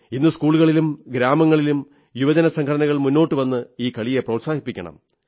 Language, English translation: Malayalam, It is crucial that today schools, neighbourhoods and youth congregations should come forward and promote these games